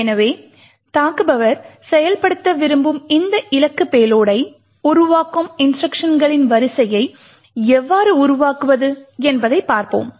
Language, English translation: Tamil, So, let us look at how we go about building a sequence of instructions that creates this particular target payload that the attacker would want to execute